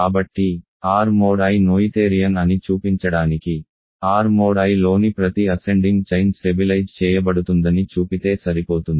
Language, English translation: Telugu, So, to show that R mod I is noetherian, it is enough to show that every ascending chain of ideals in R mod I stabilizes